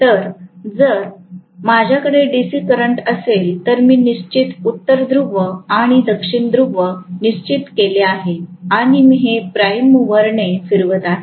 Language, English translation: Marathi, So, if I have DC current I am going to have fixed North Pole and South Pole created and I am going to have that being rotated by the prime mover